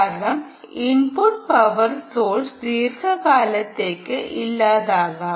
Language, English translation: Malayalam, because input power source may be absent for extended periods